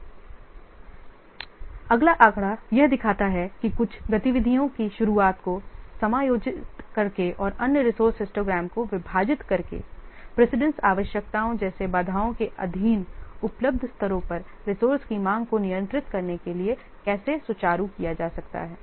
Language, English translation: Hindi, So the next figure, it shows how by adjusting the start of the some of the activities and splitting the others, a resource histogram can be smoothened to contain resource demand at available levels subject to the constraints such as precedence requirements